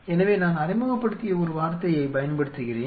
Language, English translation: Tamil, So, I am just using a word which I have been introduced